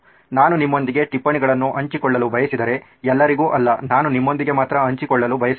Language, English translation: Kannada, If I want to share notes with you, so to not all, I just want to share with you